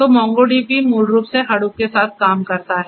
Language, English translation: Hindi, So, MongoDB basically works hand in hand with MongoDB works with Hadoop